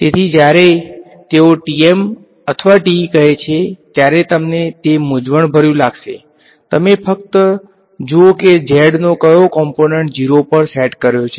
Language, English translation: Gujarati, So, you might find it confusing when they say TM or TE just see which of the z component is being set to 0 ok